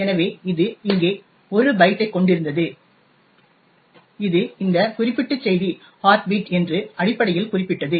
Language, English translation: Tamil, So, it comprised of a 1 byte type over here which essentially specified that this particular message was the heartbeat message